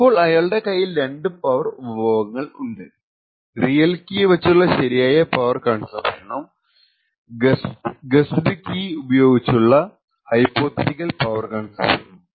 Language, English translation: Malayalam, So now what he does, he has, these two power consumptions, the actual power consumption with the real key and the hypothetical power consumption with the guessed key